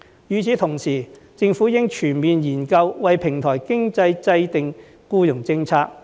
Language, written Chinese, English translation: Cantonese, 與此同時，政府應全面研究為平台經濟制訂僱傭政策。, Also the Government should conduct a comprehensive study on the formulation of an employment policy for platform economy